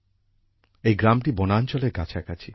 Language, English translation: Bengali, This village is close to the Forest Area